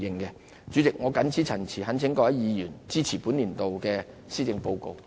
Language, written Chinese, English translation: Cantonese, 代理主席，我謹此陳辭，懇請各位議員支持本年度的施政報告。, With these remarks Deputy President I urge Members to support this years Policy Address